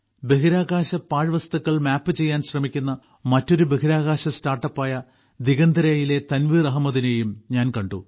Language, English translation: Malayalam, I also met Tanveer Ahmed of Digantara, another space startup who is trying to map waste in space